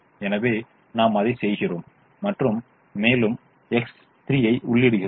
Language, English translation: Tamil, so we do that and we enter variable x three